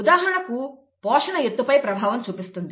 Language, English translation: Telugu, For example nutrition affects height